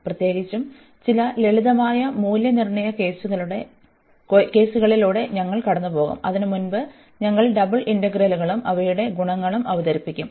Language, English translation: Malayalam, In particular, we will go through some simple cases of evaluation and before that we will introduce the double integrals and their its properties